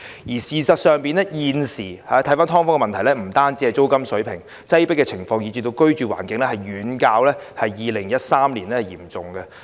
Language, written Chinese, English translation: Cantonese, 事實上，現時的"劏房"問題不只牽涉租金水平，擠迫情況以至居住環境問題均遠較2013年嚴重。, In fact the existing problems with subdivided units do not just concern the rental levels . The overcrowding problem and poor living conditions have gone from bad to worse compared to 2013